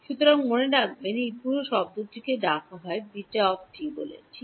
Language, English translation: Bengali, So, remember this whole term is called beta t right